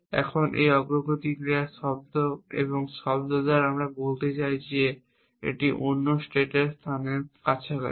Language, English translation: Bengali, Now, this progress action is sound and by sound I mean it is close over the other state place